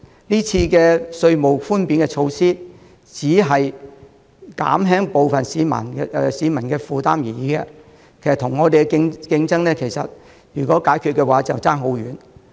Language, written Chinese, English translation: Cantonese, 今次的稅務寬免措施，只是減輕部分市民的負擔而已，其實與我們的競爭......, This tax reduction measure can only relieve the burden of some people and actually when compared to our competing if the present row can be resolved the situation will be completely different